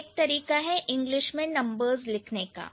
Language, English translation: Hindi, So, that is one way of writing the numbers as in English